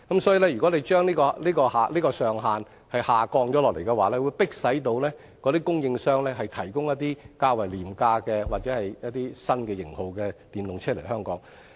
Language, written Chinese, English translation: Cantonese, 所以，如果政府將這上限調低，便會迫使那些供應商引進一些較為廉價或新型號的電動車來香港。, Hence the lowering of the FRT ceiling can force EV suppliers to bring in some cheaper or new EV models to Hong Kong